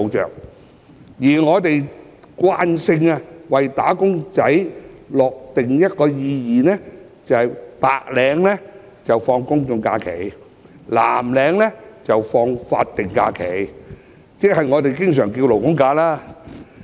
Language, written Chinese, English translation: Cantonese, 然而，我們慣性為"打工仔"訂立一個定義，即白領放取"公眾假期"，藍領則放取"法定假日"或我們常稱的"勞工假"。, However it is common for people to define wage earners based on the type of holidays they take . In other words employers taking GHs are regarded as white - collar workers while those taking SHs are regarded as blue - collar workers